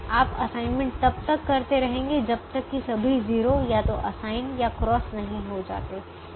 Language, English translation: Hindi, you will continue to make assignments till all the zeros are either assigned or crossed